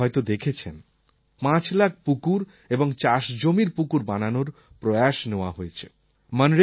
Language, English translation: Bengali, You must have noticed that this time it has been decided to construct five lakh ponds and farm water reservoirs